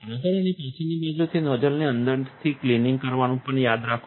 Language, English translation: Gujarati, Remember to also clean the inside of the nozzle from the front and the back side